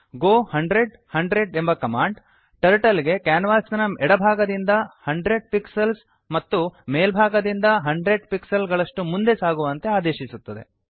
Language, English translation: Kannada, go 10,100 commands Turtle to go 10 pixels from left of canvas and 100 pixels from top of canvas